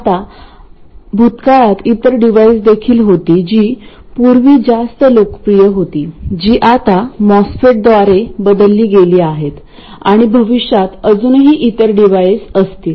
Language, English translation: Marathi, Now there have been other devices also in the past which have been more popular in the past which are now superseded by the MOSFET and there will be devices in the future